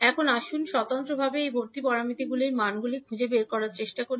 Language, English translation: Bengali, Now, let us try to find out the values of these admittance parameters individually